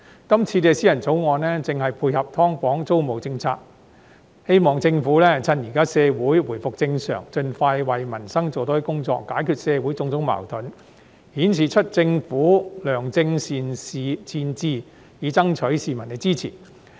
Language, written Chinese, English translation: Cantonese, 今天這項議員法案正配合"劏房"租管政策，希望政府藉着社會現在回復正常，盡快為民生做多一些工作，解決社會種種矛盾，顯示出政府的良政善治，爭取市民支持。, Today this Members Bill is exactly complementing the policy of tenancy control of subdivided units . While our society is now getting back to normal I wish that the Government can without delay do more for peoples livelihood and resolve the various kinds of social contradictions with a view to demonstrating the Governments benevolent governance and striving for public support